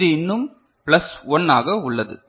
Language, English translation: Tamil, This is plus 1